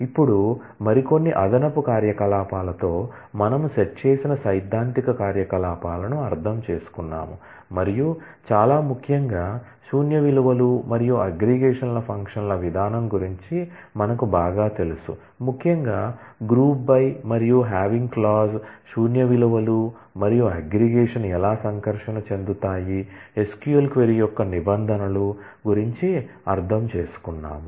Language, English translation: Telugu, Now, we have completed that with some more additional operations, we have understood the set theoretic operations and very importantly we have familiarized with the treatment of null values and aggregation functions particularly the group by and having clauses and how do null values and aggregation interact in terms of an SQL query